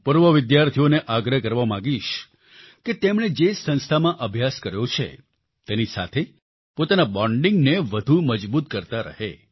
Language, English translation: Gujarati, I would like to urge former students to keep consolidating their bonding with the institution in which they have studied